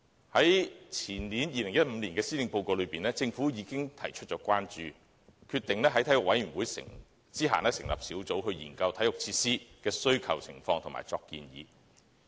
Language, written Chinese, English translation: Cantonese, 在2015年的施政報告中，政府已經提出關注，決定在體育委員會轄下成立小組，研究體育設施的需求情況及作出建議。, In the 2015 Policy Address the Government already expressed concern and decided to set up a working group under the Sports Commission to examine the demand for sports facilities and make recommendations